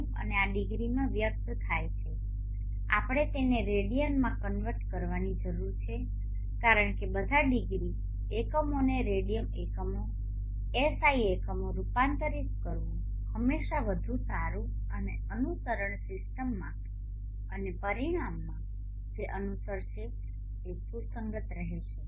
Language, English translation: Gujarati, 97 and this is expressed in degrees we need to convert it into radians because it is always better to convert all degree units into Radian units the SI units and the system of equations that will follow and the result that will follow will be consistent